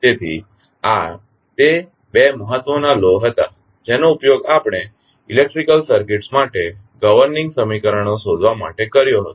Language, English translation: Gujarati, So, these were the two major laws which we used in finding out the governing equations for the electrical circuits